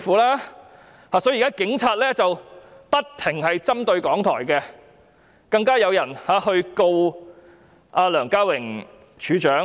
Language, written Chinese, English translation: Cantonese, 如是者，警察現時不斷針對港台，更有人控告梁家榮處長。, This explains why the Police now keep picking on RTHK and a lawsuit has even been brought against Director LEUNG Ka - wing